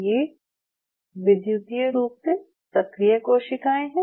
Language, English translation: Hindi, It is a electrically active cells